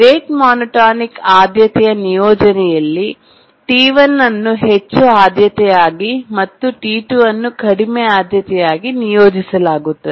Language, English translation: Kannada, In the rate monotonic priority assignment, T1 will be assigned highest priority and T2 a lower priority